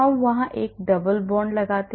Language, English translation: Hindi, I am putting a double bond there